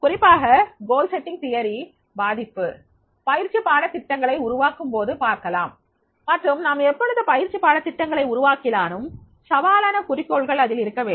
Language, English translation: Tamil, Specifically the influence of goals reading theory can be seen in the development of the training lesson plans and therefore whenever we are designing the training lesson plans there should be the challenging goals and then that should be there